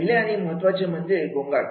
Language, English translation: Marathi, First and foremost is the noise